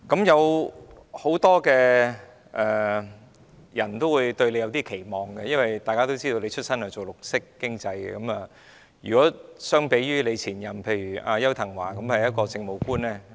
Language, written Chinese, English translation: Cantonese, 有很多人對局長抱有期望，因為大家都知道局長從事綠色經濟出身，而前局長邱騰華則是一名政務官。, Many people cherish great expectations of the Secretary because everybody knows that the Secretary started out in the field of green economy and former Secretary Edward YAU was an Administrative Officer